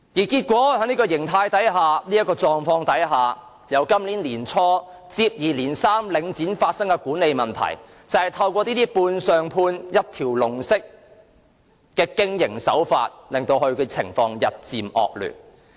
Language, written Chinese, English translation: Cantonese, 結果，在這個狀態下，由今年年初起，領展便發生接二連三的管理問題，這些都是由判上判、一條龍式的經營手法引發，情況日漸惡劣。, As a result against this background management problems concerning Link REIT surfaced in succession from the beginning of this year . All these problems are triggered by its subcontracting and one - stop service operation approach and the situation is deteriorating